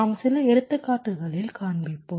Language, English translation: Tamil, ok, we shall be showing in some examples